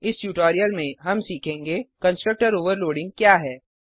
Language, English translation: Hindi, So in this tutorial, we have learnt About the constructor overloading